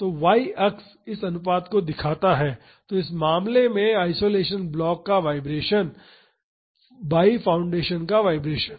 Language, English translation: Hindi, So, the y axis shows this ratio, the vibration of the isolation block to the vibration of the foundation in this case